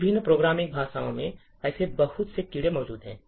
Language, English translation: Hindi, There are quite a few such bugs present in different programming languages